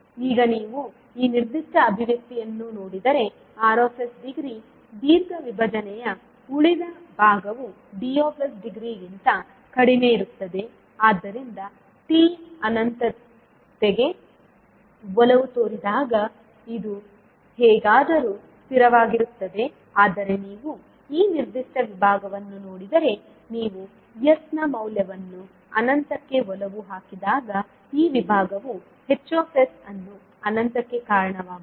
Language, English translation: Kannada, Now if you see this particular expression where degree of r is less than degree of d so this will anyway be stable when t tends to infinity but if you see this particular segment the this segment will cause the h s tends to infinity when you put value of s tends to infinity